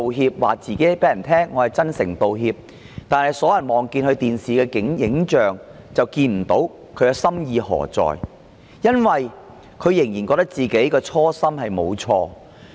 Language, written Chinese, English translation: Cantonese, 她對大家說她真誠道歉，但所有人觀看電視直播的人都看不到她真誠道歉，因為她仍然覺得自己的初心沒有錯。, She claimed to offer her most sincere apology but people watching the live television broadcast could not sense her sincerity because she still thought that there was nothing wrong with her original intent